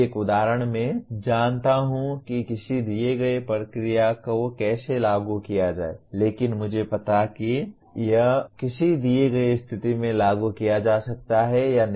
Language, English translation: Hindi, An example is I know how to apply a given procedure but I do not know whether it can be applied in a given situation